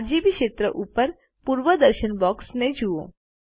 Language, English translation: Gujarati, Look at the preview box above the RGB field